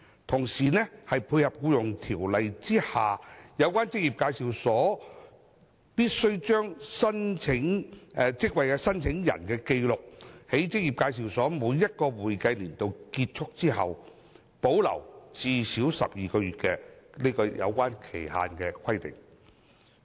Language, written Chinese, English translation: Cantonese, 同時，此舉可配合《僱傭條例》之下有關職業介紹所必須將職位申請人的紀錄，在職業介紹所每一個會計年度結束後保留最少12個月的期限規定。, At the same time such a move can tie in with the requirement under the Employment Ordinance EO that employment agencies have to retain records of job applicants for a period of not less than 12 months after the expiry of each accounting year of the employment agency concerned